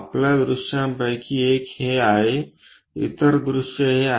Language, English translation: Marathi, One of your view is this, the other view is this